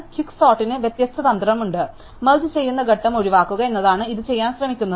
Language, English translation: Malayalam, Quick sort has the different strategy, what it tries to do is avoid the merging step